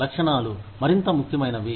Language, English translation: Telugu, Goals are more important